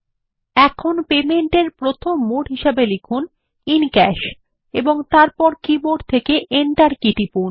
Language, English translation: Bengali, Lets type the first mode of payment as In Cash, and then press the Enter key from the keyboard